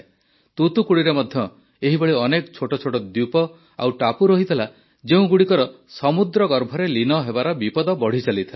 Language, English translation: Odia, There were many such small islands and islets in Thoothukudi too, which were increasingly in danger of submerging in the sea